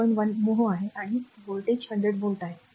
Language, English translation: Marathi, 1 mho, and voltage is 100 volt